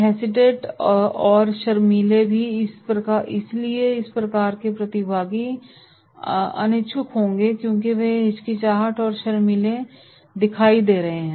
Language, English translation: Hindi, Hesitant and shy also, so therefore this types of participants will be reluctant because they are showing hesitance and shy